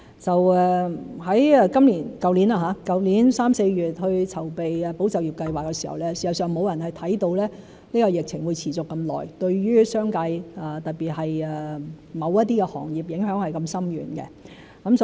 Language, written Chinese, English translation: Cantonese, 在去年3月、4月籌備"保就業"計劃時，事實上沒有人看到疫情會持續這麼久，對於商界，特別是某些行業的影響是如此深遠。, When preparing for ESS in March and April last year no one expected that the epidemic would last so long and have such significant impact on the business sector particularly certain industries